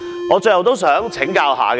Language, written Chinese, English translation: Cantonese, 我最後想請教一下各位。, Finally I want to ask for Members opinions on one thing